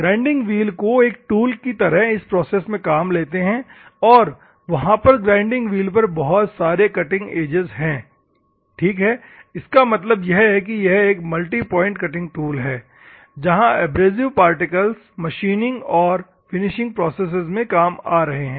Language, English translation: Hindi, Grinding wheel is used as a tool in the process and where the grinding wheel will have numerous cutting edges, ok; that means, that there are it is a multi point cutting tool where the abrasive particles are actually involved in the machining process or the finishing process